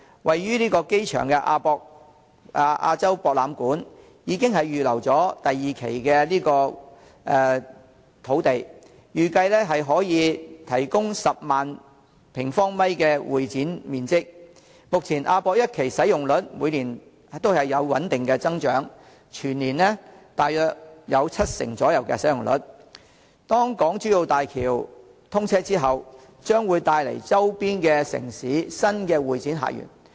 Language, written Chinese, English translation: Cantonese, 位於機場附近的亞洲國際博覽館，已經預留了第二期土地，預計可以提供10萬平方米的會展面積。目前亞博館一期的使用率每年也有穩定的增長，全年大約有七成使用量，當港珠澳大橋通車之後，將會帶來周邊城市新的會展客源。, A site has already been reserved for Phase II of the AsiaWorld - Expo AWE in the vicinity of the airport and the expected convention and exhibition space to be provided is 100 000 sq m Steady growth is recorded for the utilization of AWE Phase I each year with an annual utilization rate of some 70 % . Following the commissioning of the Hong Kong - Zhuhai - Macao Bridge new sources of visitors for convention and exhibition will be brought in from neighbouring cities